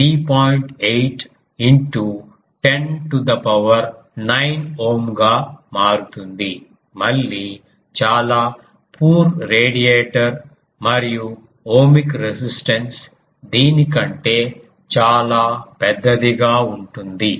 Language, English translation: Telugu, 8 into 10 to the power 9 ohm; again very poor radiator and ohmic resistance will be much larger than this